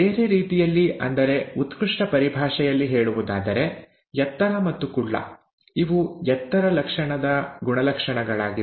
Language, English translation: Kannada, In other words, in terms of classic terminology; tall and short, these are the traits of the character height